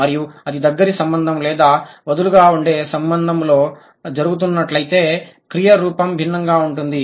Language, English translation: Telugu, And if it is happening in the close connection or loosely fit, sorry, loosely connected then the verb form would be different